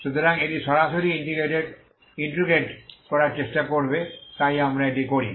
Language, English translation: Bengali, So this will try to integrate directly so this is what we do